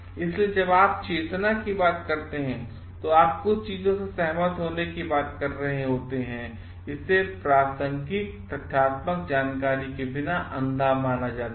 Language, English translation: Hindi, So, when you talking of consciousness, when you are talking of agreeing to certain things, it is considered to be blind without relevant factual information